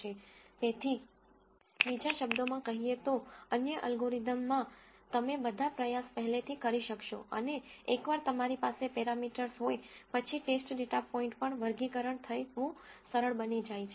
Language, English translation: Gujarati, So, in other words, in other algorithms you will do all the e ort a priori and once you have the parameters then classification becomes, on the test data point becomes, easier